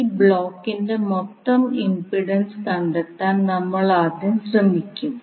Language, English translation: Malayalam, We will first try to find out the total impedance of this particular block